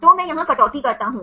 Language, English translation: Hindi, So, I cut here